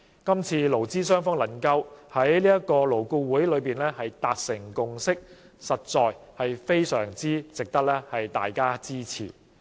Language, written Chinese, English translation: Cantonese, 今次勞資雙方能夠在勞顧會達成共識，實在非常值得大家支持。, A consensus reached between both sides in LAB this time around should indeed be supported by us